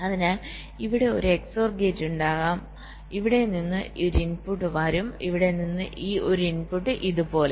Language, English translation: Malayalam, ok, so there can be an x or gate here, so one input will come from here, one input from here, like this